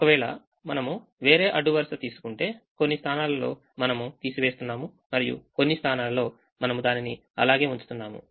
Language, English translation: Telugu, if we take some other row, some places we are subtracting and some places we are keeping it as it is